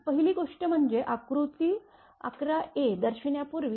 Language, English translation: Marathi, First thing is that before showing the diagram that figure 11 a